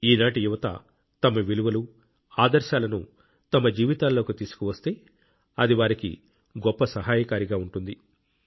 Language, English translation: Telugu, If the youth of today inculcate values and ideals into their lives, it can be of great benefit to them